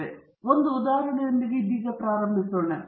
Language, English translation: Kannada, Now, let’s start of, with an example